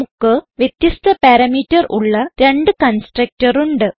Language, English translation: Malayalam, We have two constructor with different parameter